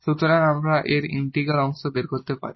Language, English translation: Bengali, So, what this integral means here